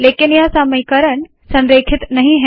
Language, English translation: Hindi, But the equations are not aligned